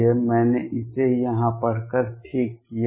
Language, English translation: Hindi, I have corrected this in in read out here